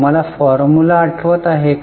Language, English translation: Marathi, Do you remember the formula